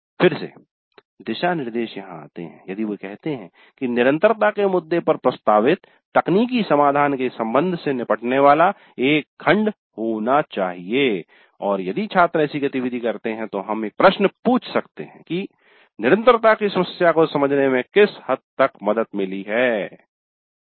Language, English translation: Hindi, Again the guidelines if they say that there must be a section dealing with the relationship of the technical solution proposed to the sustainability issue and if the students do carry out such an activity then we can ask a question to what extent it has helped them to understand their sustainability problem